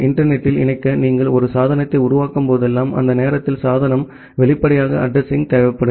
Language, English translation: Tamil, And whenever you will make a device to get connected over the internet, during that time device will obviously, require an address